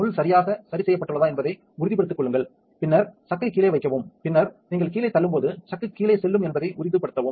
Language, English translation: Tamil, So, make sure that the pin is correctly adjusted and then place the chuck underneath and when you then push down make sure that the chuck goes all the way down